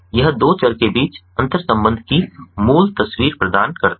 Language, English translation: Hindi, in it provides the basic picture of the interrelation between two variables